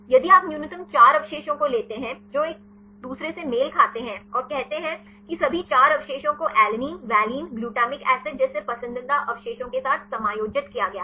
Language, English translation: Hindi, If you take a minimum of 4 residues that is corresponds to one turn and say all the 4 residues are accommodated with the preferred residues like alanine, valine, glutamic acid